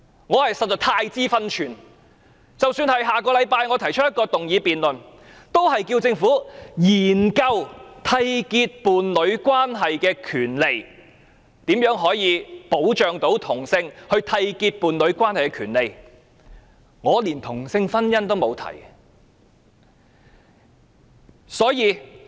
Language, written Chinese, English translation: Cantonese, 我實在太知分寸，即使是下星期我提出一項動議辯論，亦只是要求政府研究締結伴侶關係的權利，如何保障同性締結伴侶關係的權利，我連同性婚姻都沒有提及。, I am very sensible because even in the motion that I am going to move next week I only request the Government to study the right of homosexual couples to enter into a union and how the right of homosexual couples to enter into a union can be protected . I have not mentioned same - sex marriage at all